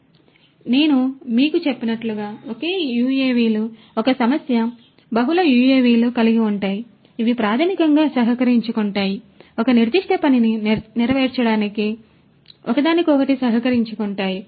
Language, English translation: Telugu, So, single UAVs as I told you is an issue, having multiple UAVs which basically collaborate cooperate with each other in order to accomplish a particular task a mission that is a farther challenge